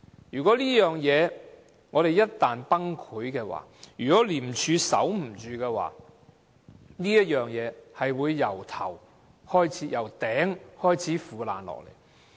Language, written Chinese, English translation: Cantonese, 如果這事一旦崩潰，如果廉署守不着，會從頂部開始腐爛下來。, If ICAC collapses or fails to hold out it will start to decay from top to bottom . Let us look at the facts